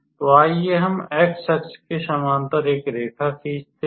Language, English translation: Hindi, So, let us draw a line parallel to x axis